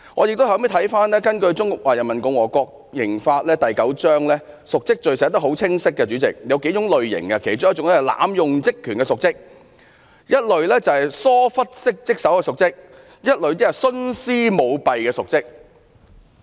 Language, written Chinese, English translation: Cantonese, 主席，根據《中華人民共和國刑法》第九章，瀆職罪的定義很清晰，當中有數類，包括濫用職權的瀆職、疏忽職守的瀆職和徇私舞弊的瀆職。, President according to Chapter IX of the Criminal Law of the Peoples Republic of China the definition of the offence of dereliction of duty is clear . Dereliction of duty is divided into several categories including abuse of office neglect of duties as well as favouritism and graft